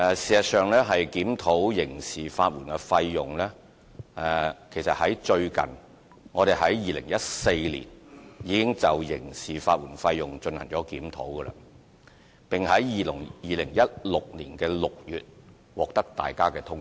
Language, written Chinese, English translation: Cantonese, 事實上，我們於2014年已經就刑事法援費用進行檢討，並於2016年6月獲得大家通過。, In fact we have conducted a review on criminal legal aid fees in 2014 and the review was endorsed by the Legislative Council in June 2016